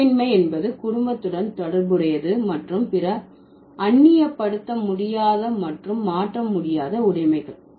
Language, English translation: Tamil, Kinship terms means related to the family and other elinable and inalienable possessions